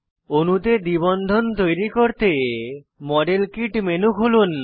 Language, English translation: Bengali, To introduce a double bond in the molecule, open the model kit menu